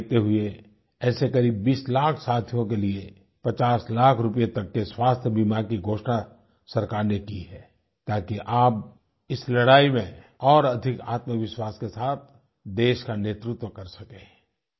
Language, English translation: Hindi, Keeping that in mind , for around 20 lakhs colleagues from these fields, the government has announced a health insurance cover of upto Rs 50 lakhs, so that in this battle, you can lead the country with greater self confidence